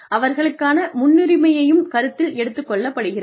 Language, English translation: Tamil, Their preferences have been taken into account